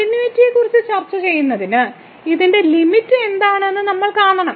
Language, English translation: Malayalam, So, to discuss the continuity, we have to see what is the limit of this